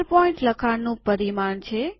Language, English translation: Gujarati, 12 point is the text size